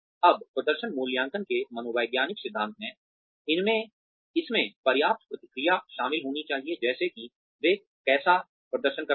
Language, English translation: Hindi, Now, psychological principles of performance appraisal are, it should involve adequate feedback, as to how they are performing